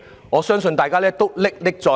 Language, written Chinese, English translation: Cantonese, 我相信大家都歷歷在目。, I believe we still vividly remember it